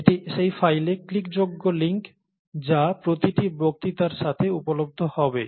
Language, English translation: Bengali, This would be a clickable link in that file, it will be available with every lecture